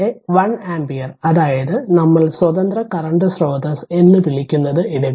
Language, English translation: Malayalam, So, put 1 ampere here what you call and the independent current source here